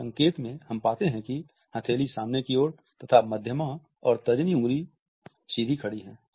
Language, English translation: Hindi, In this sign we find that palm of the hand faces forward with the middle and four fingers held erect